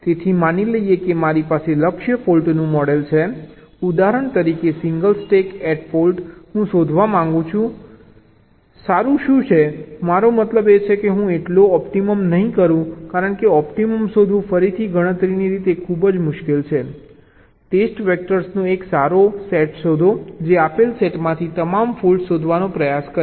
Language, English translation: Gujarati, so, assuming that i have ah target for model, for example the single stack at fault, i want to find out what is the good ok, i means i will not so optimum, because finding the optimum is again very computationally difficult find a good set of test vectors that will try to find out or detect all the faults from the given set